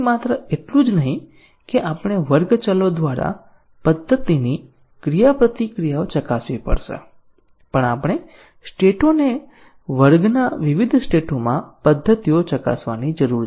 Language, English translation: Gujarati, So, not only that we have to test the method interactions through class variables but also we need to test the states the methods at different states of the class